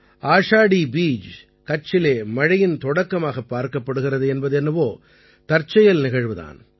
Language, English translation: Tamil, It is also a coincidence that Ashadhi Beej is considered a symbol of the onset of rains in Kutch